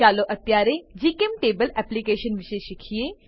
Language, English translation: Gujarati, Lets now learn about GChemTable application